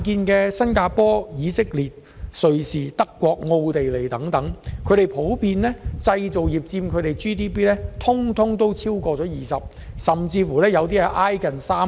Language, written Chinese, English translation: Cantonese, 在新加坡、以色列、瑞士、德國和奧地利等地，製造業普遍佔當地 GDP 逾 20%， 甚至接近 30%。, For example in Singapore Israel Switzerland Germany and Austria the manufacturing sector generally contributes some 20 % or even close to 30 % to GDP